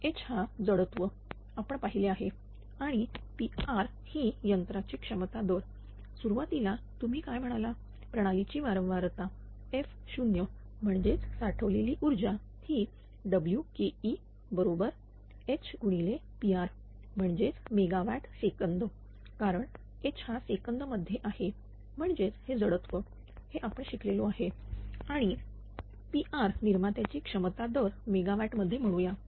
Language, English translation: Marathi, So, h is the inertia that we have seen and P r is the rated capacity of the machine therefore, initially that what you call at system frequency f 0 that energy stored is W Ke and this is superscript 0 is equal to H into P r that is megawatt second because, H is in second right is that your inertia, that we have studied in transient stability, ah in the previous course power system analysis and P r say is the rated capacity of the generator in megawatt